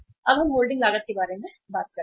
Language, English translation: Hindi, Now we talk about the holding cost